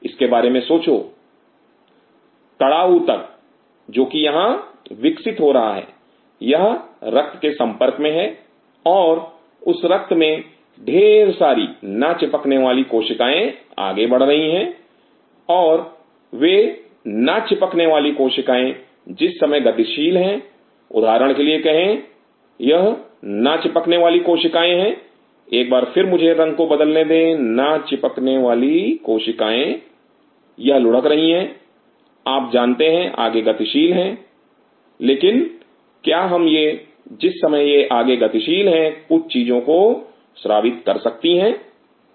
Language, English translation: Hindi, Think of it the hard tissue which is growing out here it is exposed to blood and that blood contains lot of Non adhering cells moving through and those Non adhering cells while they are moving through say for example, this is the Non adhering cell once again let me change the color Non adhering cells it is rolling you know it is moving through, but what we while it is moving through it my secret out certain things right